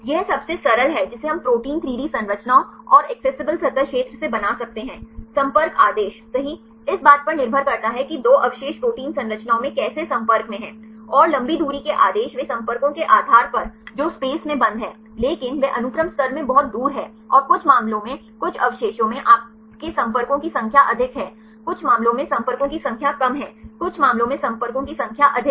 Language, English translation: Hindi, This is the simplest one we can construct from protein 3D structures, and accessible surface area, contact order right depending upon the how the 2 residues are in contact in protein structures, and long range order they depending upon the contacts which are closed in space, but they are far in the sequence level, and some cases some residues you have more number of contacts some case less number of contacts right some case more number of contacts